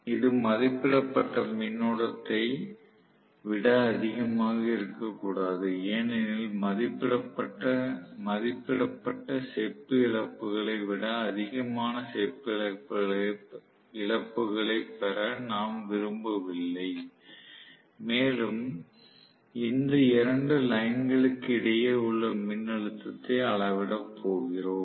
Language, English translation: Tamil, It should not exceed rated current because we do not want to make the copper losses greater than rated copper losses and we are going to measure the voltage across 2 lines